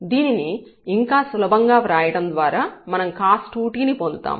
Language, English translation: Telugu, So, this we can again simplify to have this cos 2 t